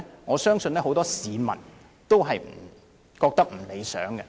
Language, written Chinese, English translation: Cantonese, 我相信很多市民均認為不大理想。, I believe most people would find it unsatisfactory